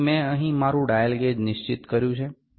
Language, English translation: Gujarati, So, I have fixed my dial gauge here